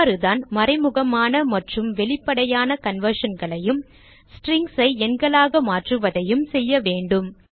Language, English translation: Tamil, And this is how we do implicit and explicit conversion and How do we converts strings to numbers